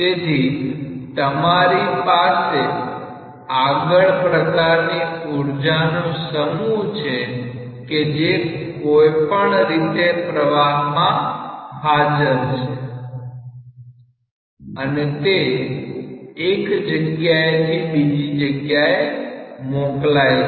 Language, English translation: Gujarati, So, you have some total of these three energies that is somehow being there in the flow and it is getting transmitted from one place to another